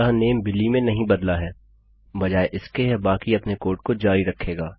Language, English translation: Hindi, So, the name is not changed to Billy instead itll carry on with the rest of our code